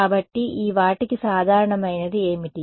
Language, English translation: Telugu, So, what is common to these guys